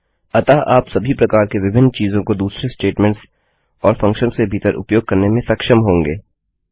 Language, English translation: Hindi, So you will be able to use all different kinds of things inside other statements and inside functions